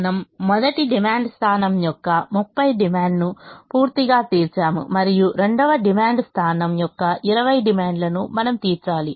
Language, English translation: Telugu, we have completely met the demand of thirty of the first demand point and we have to meet twenty more of the demand of the second demand point